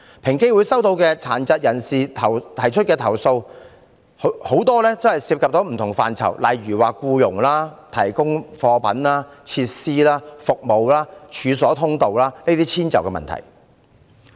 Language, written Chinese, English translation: Cantonese, 平機會收到殘疾人士提出的投訴大多涉及不同範疇，例如僱傭、提供貨品、設施及服務、處所通道等的遷就問題。, Many of the complaints EOC receives from persons with disabilities relate to issues of accommodation in various fields such as employment; the provision of goods facilities or services; or access to premises